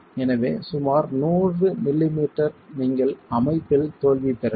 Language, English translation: Tamil, So, at about 100 m m you can get failure in the system